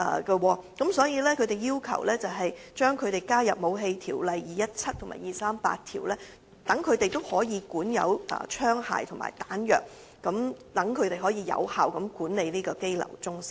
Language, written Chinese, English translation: Cantonese, 因此，他們要求獲納入《武器條例》和《火器及彈藥條例》的範圍，以便可管有槍械和彈藥，有效地管理該中心。, Hence it is their opinion that they should be included in the scope of application of the Weapons Ordinance Cap . 217 and the Firearms and Ammunition Ordinance Cap . 238 so that they will be allowed to possess firearms and ammunition thereby managing CIC effectively